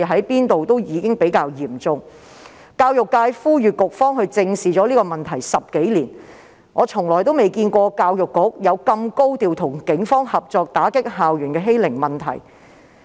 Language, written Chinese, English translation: Cantonese, 教育界10多年來也呼籲局方正視，但我從來也未見過教育局會如此高調地與警方合作打擊校園欺凌問題。, The education sector has called upon the Bureau to look squarely at the problem over the past 10 years but I have never seen such high profile cooperation between the Education Bureau and the Police in tackling school bullying